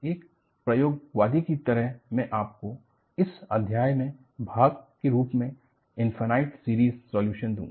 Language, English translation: Hindi, As an experimentalist, I would give you the infinite series solution, as part of this chapter